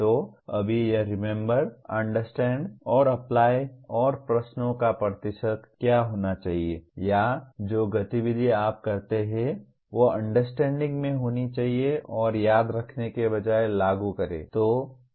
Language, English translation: Hindi, So right now it is Remember, Understand and Apply and what one should do the percentage of questions or the activity that you do should be dominantly in Understand and Apply rather than in Remember